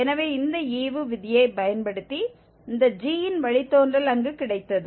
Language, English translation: Tamil, So, this quotient rule we got the derivative of this g there